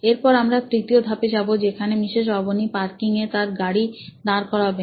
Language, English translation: Bengali, Then we go onto the third step which is now Mrs Avni looks like she has to park the bike in the parking spot